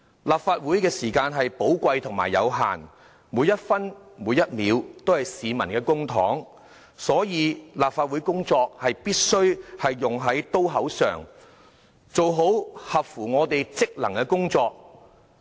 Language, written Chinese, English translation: Cantonese, 立法會的時間是寶貴和有限的，每一分、每一秒，都是市民的公帑，所以立法會工作必須用在刀口上，做好我們職能內的工作。, Due to the limited time available in the Council every minute and second in the legislature is precious as our operation is financed by public money . So the Legislative Council must put in effort where it is due and suitably perform our functions and duties within our purview